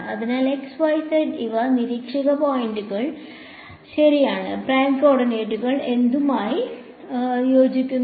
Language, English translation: Malayalam, So, the x, y and z these are the observer points right and the prime coordinates corresponds to what